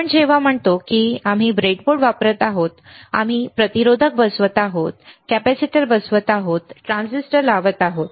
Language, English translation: Marathi, Now, when we say that we are using the breadboard we are we are mounting the resisters, we are mounting the capacitors and we are mounting transistors